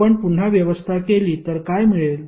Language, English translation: Marathi, If you rearrange what you will get